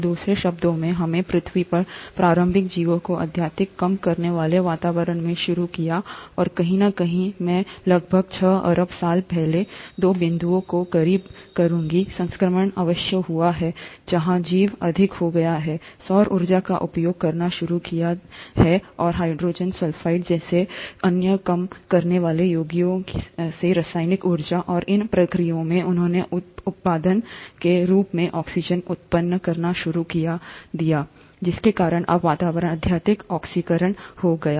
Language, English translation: Hindi, So in other words, we started the initial life on earth in a highly reducing environment, and somewhere around I would say close to about two point six billion years ago, the transition must have happened where the organisms became smarter, started utilizing the solar energy, and the chemical energy from other reducing compounds like hydrogen sulphide, and in the process, they started generating oxygen as a by product, because of which now the atmosphere became highly oxidized